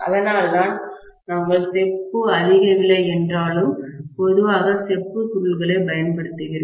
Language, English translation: Tamil, That is why we normally use copper coils although copper is more expensive